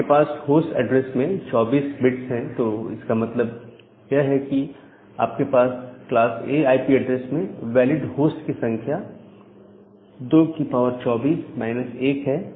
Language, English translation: Hindi, Whenever you have 24 bits in the host address, that means, your number of valid host for a class A IP address is 2 to the power 24 minus 2